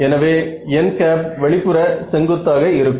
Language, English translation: Tamil, So, n hat is the outward normal